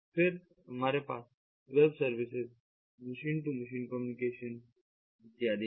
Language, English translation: Hindi, then we have the web services, web services, machine to machine communication and so on